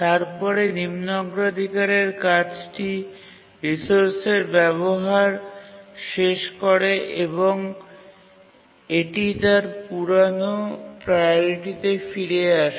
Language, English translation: Bengali, But then once the low priority task completes its users of the resource, it gets back to its older priority